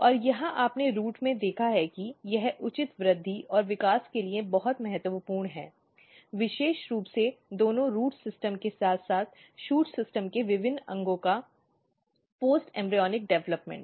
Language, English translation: Hindi, And this is you have seen in root that this is very important for proper growth and development, particularly post embryonic development of different organs in both root system as well as in shoot system